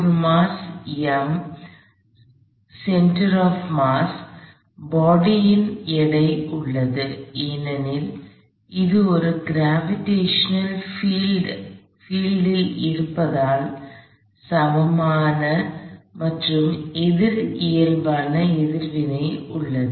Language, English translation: Tamil, So, there is a mass m, center of mass, there is a weight of the body, because it is in a gravitational field, there is an equal and opposite normal reaction